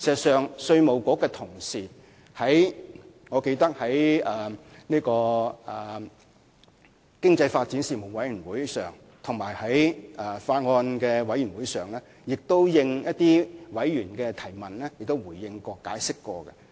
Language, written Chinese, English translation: Cantonese, 事實上，我記得在經濟發展事務委員會會議和法案委員會會議上，稅務局的同事曾因應議員的提問而作出回應和解釋。, As I recall during the meetings of the Panel on Economic Development and the Bills Committee colleagues from IRD have actually responded to Members questions with explanations